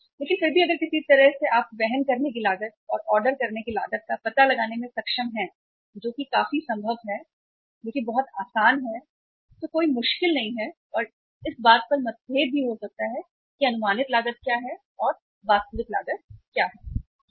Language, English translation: Hindi, But still if somehow if you are able to find out the carrying cost and the ordering cost which is quite possible, which is quite easy, not every difficult and there can be differences also that what is the estimated cost and what is the actual cost, there can be differences